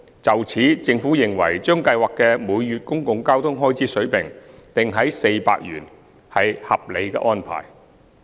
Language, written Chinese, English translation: Cantonese, 就此，政府認為，將計劃的每月公共交通開支水平定於400元，屬合理安排。, Given so the Government believes that setting the level of monthly public transport expenses at 400 is a reasonable arrangement